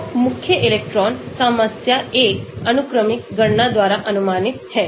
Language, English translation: Hindi, So, the main electron problem is approximated by a sequential calculation